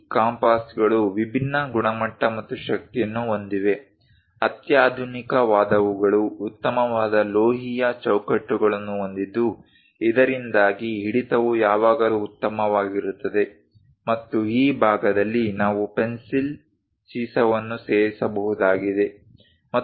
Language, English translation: Kannada, This compasses are of different quality and also strength; the sophisticated ones have nice metallic frames so that the grip always be good, and this is the part where pencil lead can be inserted